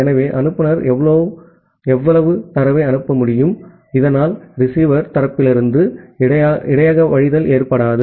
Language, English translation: Tamil, So the sender can send that much amount of data, so that buffer overflow does not occur from the receiver side